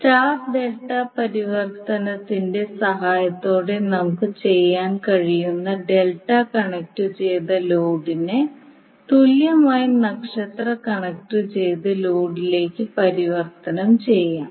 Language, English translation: Malayalam, Now there is an alternate way also to analyze the circuit to transform star delta connected load to equivalent star star connection